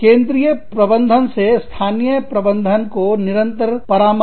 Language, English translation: Hindi, Constant advice from, central management, local management